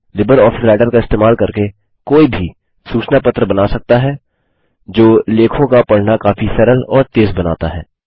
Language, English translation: Hindi, Using LibreOffice Writer one can create newsletters which make reading of articles much easier and faster